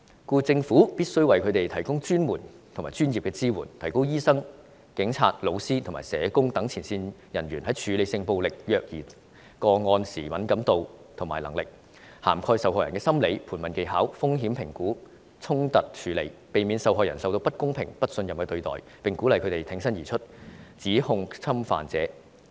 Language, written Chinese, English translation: Cantonese, 故此，政府必須為他們提供專門和專業的支援，提高醫生、警察、教師及社工等前線人員在處理性暴力及虐兒個案時的敏感度和能力，當中應涵蓋受害人的心理、盤問技巧、風險評估及衝突處理，避免受害人受到不公平和不信任的對待，並鼓勵他們挺身而出，指控侵犯者。, For this reason the Government should provide frontline personnel including doctors police officers teachers and social workers with professional and specialized training to enhance their sensitivity and skills in handling cases of sexual violence and child abuse . The training should cover the psychologies of victims interrogation skills risk assessment and conflict management in order to prevent victims from receiving unfair and untrusted treatment . Victims should also be encouraged to come forward and report the wrongdoings of the abusers